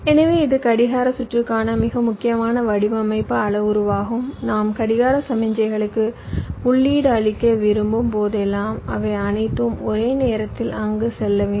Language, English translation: Tamil, so this is also one very important design parameter for clock circuitry: that whenever i want to, whenever i want to feed the clock signal, they should all reach there almost at the same time